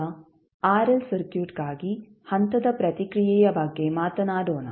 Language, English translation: Kannada, Now, let us talk about step response for a RL circuit